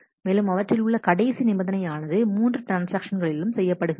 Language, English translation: Tamil, So, and last of that are being done in all the 3 transactions